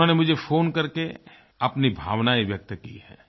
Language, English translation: Hindi, He called me up to express his feelings